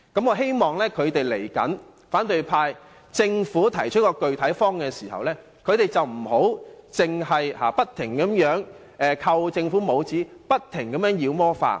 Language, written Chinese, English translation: Cantonese, 我希望當政府提出具體方案時，反對派別只管不斷給政府扣帽子，把事情妖魔化。, I hope the Government will put forward a proposal with specific details and the opposition camp will not keep putting labels on the Government while painting everything as demonic